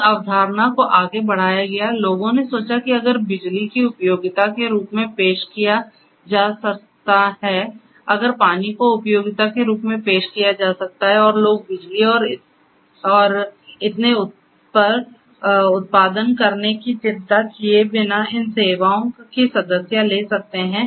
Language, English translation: Hindi, The same concept was extended further, people thought that if electricity can be offered as utility, if water can be offered as utility and people can subscribe to this services without worrying how to generate electricity and so on